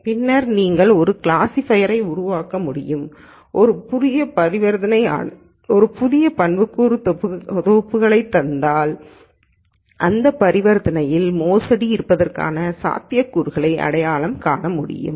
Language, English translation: Tamil, Then you could build a classifier which given a new set of attributes that is a new transaction that is being initiated, could identify what likelihood it is of this transaction being fraudulent